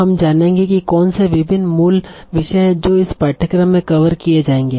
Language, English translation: Hindi, What are the different topics we'll be covering this course